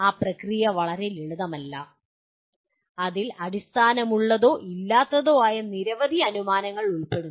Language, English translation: Malayalam, That process is not very simple and which involves many assumptions which may be valid or not valid